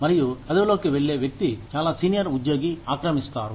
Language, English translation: Telugu, And, the person, who moves into the position, occupied by a very senior employee